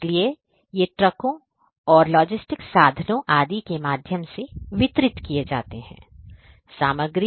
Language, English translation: Hindi, So, these are going to be delivered through trucks and other logistic means etc